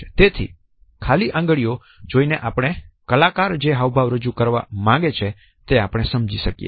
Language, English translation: Gujarati, So, simply by looking at the fingers we can try to make out the meaning which the artist wants to convey